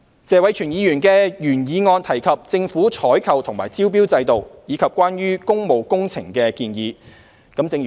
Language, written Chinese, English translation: Cantonese, 謝偉銓議員的原議案提及政府採購和招標制度，以及關於工務工程的建議。, Mr Tony TSEs original motion touched on the procurement and tendering systems of the Government and the proposals on public works projects